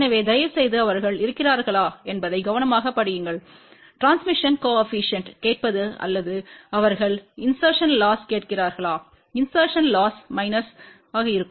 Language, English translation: Tamil, So, please read the problem carefully whether they are asking for transmission coefficient or whether they are asking for insertion loss insertion loss will have minus